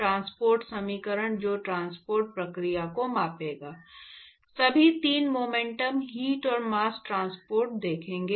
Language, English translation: Hindi, Transport equations that will quantify the transport process see all three momentum heat and mass transport